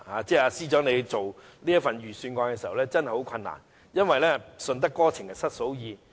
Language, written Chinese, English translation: Cantonese, 司長制訂這份預算案真的很困難，因為"順得哥情失嫂意"。, The Financial Secretary really has great difficulties in preparing this Budget for he may please one party and antagonize the other